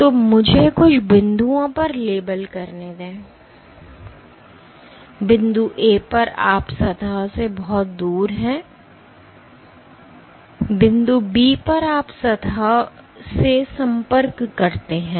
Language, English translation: Hindi, So, let me label some points, at point A you are far from the surface, at point B you contact the surface